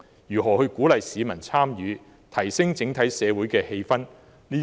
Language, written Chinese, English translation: Cantonese, 如何鼓勵市民參與，提升整體社會的氣氛？, How will it encourage public engagement and enhance the overall social atmosphere?